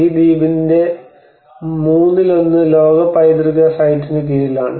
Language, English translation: Malayalam, So almost one third of this island is under the world heritage site